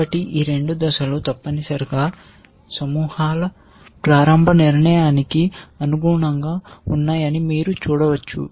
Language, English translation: Telugu, So, you can see these two steps correspond to the initial formation of the clusters essentially